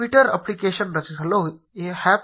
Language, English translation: Kannada, To create a twitter application go to apps